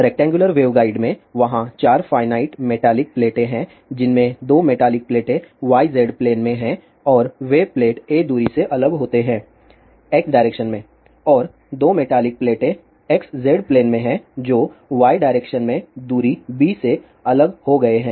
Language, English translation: Hindi, In rectangular waveguides, there are 4 finite metallic plates of which 2 metallic plates are in yz plane and those plates are separated by a distance a in x direction and the 2 metallic plates are in xz plane which are separated by a distance b in y direction